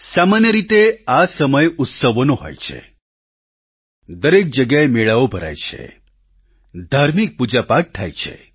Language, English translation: Gujarati, Generally, this period is full of festivals; fairs are held at various places; it's the time for religious ceremonies too